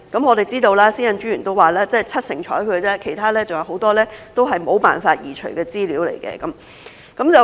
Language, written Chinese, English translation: Cantonese, 我們知道，私隱專員說只有七成獲受理，其餘很多都是沒有辦法移除的資料。, We know that the Commissioner has said that only 70 % of the data can be dealt with while most of the remaining data cannot be removed